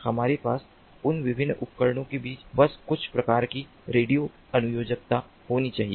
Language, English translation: Hindi, we have to just have some kind of radio connectivity between these different devices